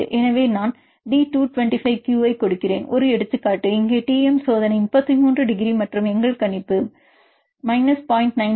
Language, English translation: Tamil, So, one example I give D225Q, here the experiment Tm is 33 degrees and our prediction is also minus 0